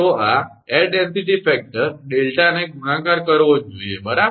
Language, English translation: Gujarati, So, this air density factor delta has to be multiplied right